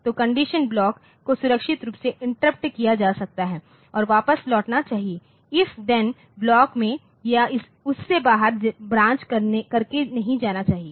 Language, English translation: Hindi, So, conditional block may be safely interrupted and returned to and must not branch into or out of the if then block